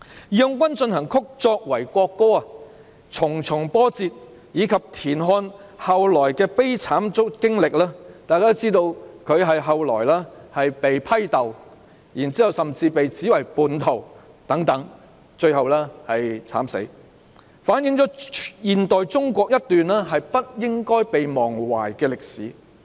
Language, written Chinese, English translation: Cantonese, "義勇軍進行曲"作為國歌的重重波折，以及田漢後來的悲慘經歷——大家都知道，他後來遭到批鬥，甚至被指為叛徒，最後在獄中慘死——反映了現代中國一段不應被忘懷的歷史。, The twists and turns of March of the Volunteers as the national anthem as well as the subsequent tragic experience of TIAN Han―as we all know he was later subjected to scathing criticisms was even accused of being a traitor and died a tragic death in prison in the end―reflect a piece of modern Chinese history which should not be forgotten